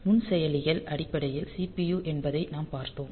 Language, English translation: Tamil, So, you have seen the microprocessors are basically the CPU